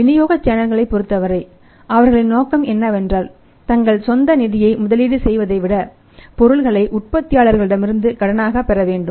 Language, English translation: Tamil, As per the distribution channel is concerned their objective is that rather than investing their own funds they should buy the materials are the goods on credit from the manufacturer